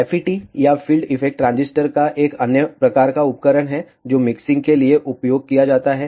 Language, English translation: Hindi, FET or field effect transistor is an another type of device that is used for mixing